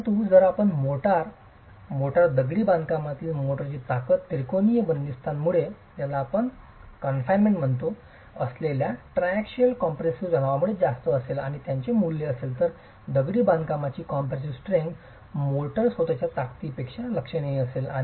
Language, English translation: Marathi, But if you were to examine the motor, the motor, the strength of the motor in the masonry will be higher because of the triaxial confinement, the triaxial compressive stress in the state of confinement and will have a value, the compressive strength of the masonry will be significantly higher than the strength of the motor itself